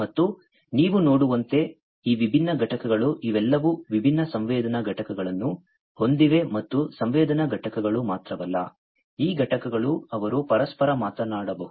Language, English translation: Kannada, And these different components as you can see these are all these have different sensing units in them and not only sensing units, but these units they can also talk to each other